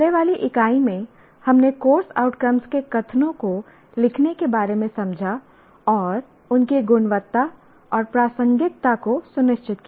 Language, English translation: Hindi, In the earlier unit, we understood writing the course outcome statements ensuring their quality and relevance